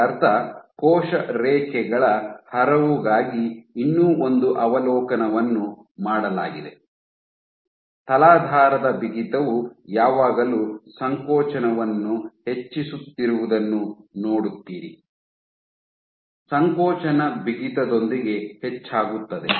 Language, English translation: Kannada, So, one more observation has been for gamut of cell lines, if you do with stiffness, substrate stiffness you always see contractility increasing, contractility exhibits increase with stiffness